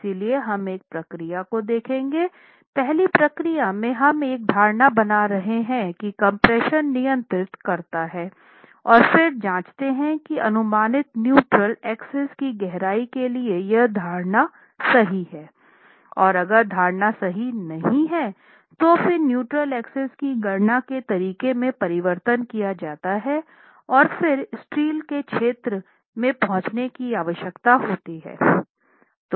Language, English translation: Hindi, In procedure 1 we were first making an assumption that compression controls and then check whether that assumption is true for the depth of neutral axis that is estimated and then if not make changes to the way the neutral axis depth is calculated and then arriving at the area of steel that is required